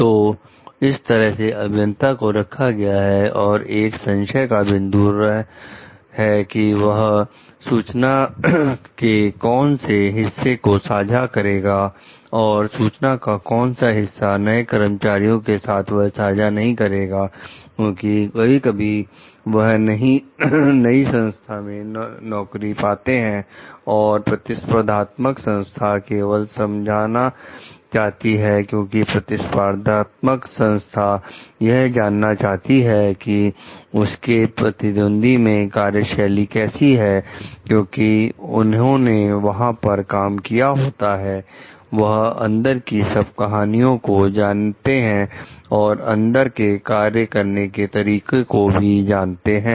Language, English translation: Hindi, So, that like puts the engineer and a point of dilemma, in the sense like what is the part of the information that could be shared and what is the part of the information that could not be shared with the new employer, because sometimes it, what happens like they are getting the employment in the new, new organization, the competing organization only to understand, because the competing organization wants to understand from them the workflow of the other, its competitors, because they have worked they know some inside stories, they know the inside functioning